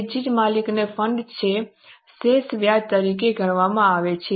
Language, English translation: Gujarati, That is why owners fund is considered as a residual interest